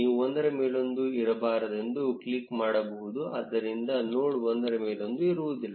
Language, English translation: Kannada, You can also click on no overlap, so that the nodes no longer overlap each other